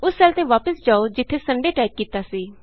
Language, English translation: Punjabi, Go back to the cell where Sunday was typed